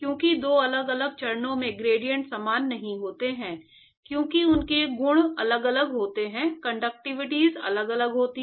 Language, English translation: Hindi, So, gradients are not equal in two different phases, because their properties are different, the conductivities are different